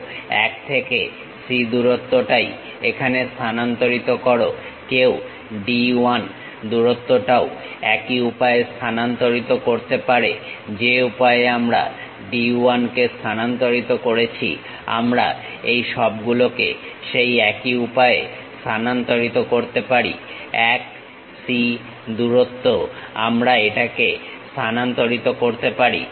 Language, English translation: Bengali, Transfer 1 to C length here; one can transfer D 1 length also in the same way, the way how we transfer D 1 we can transfer it there all 1 C length we can transfer it